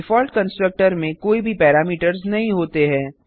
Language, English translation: Hindi, Default constructor has no parameters